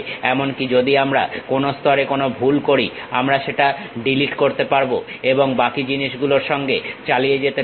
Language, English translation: Bengali, Even if we are making a mistake at one level we can delete that, and continue with the remaining things